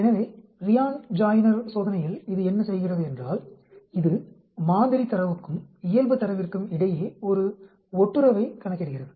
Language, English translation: Tamil, So, in Ryan joiner test, what it does is, it calculates a correlation between the sample data and the normal data